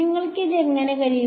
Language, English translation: Malayalam, How would you do this